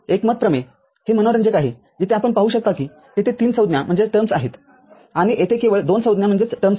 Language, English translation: Marathi, Consensus theorem it is interesting, where you can see that there are 3 terms over there and there are only 2 terms over here